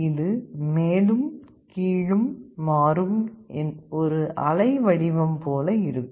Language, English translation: Tamil, It will be like a waveform, changing up and down